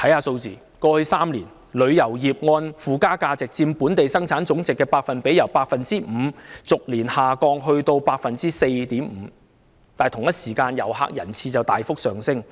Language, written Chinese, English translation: Cantonese, 看看過去3年的數字，旅遊業附加值佔本地生產總值的百分比，由 5% 逐年下降至 4.5%， 但同一時間，遊客人次卻大幅上升。, Looking at the statistics of the past three years we will see that the added value of the tourism industry as a percentage of Gross Domestic Product GDP has gradually dropped from 5 % to 4.5 % year by year but meanwhile there has been a substantial increase in the number of visitor arrivals